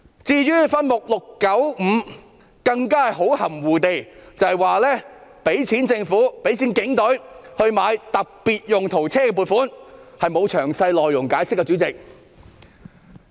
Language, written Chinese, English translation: Cantonese, 至於分目695更含糊地指撥款用於購置和更換警隊特別用途車輛，但沒有詳細解釋內容。, Regarding subhead 695 it is stated vaguely that the funding is for the procurement and replacement of police specialized vehicles without any detailed description